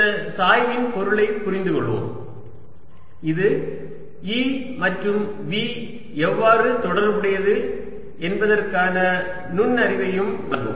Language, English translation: Tamil, right, let us understand the meaning of this gradient, which will also give us insights into how e and v are related